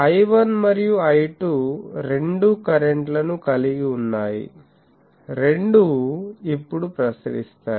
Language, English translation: Telugu, So, I 1 and I 2 both having currents so, both will now radiate